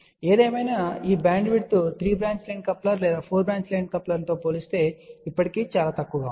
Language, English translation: Telugu, However this bandwidth is still relatively small compared to 3 branch line coupler or 4 branch line coupler